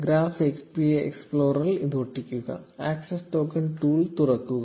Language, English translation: Malayalam, Paste it in the Graph API explorer, and open the access token tool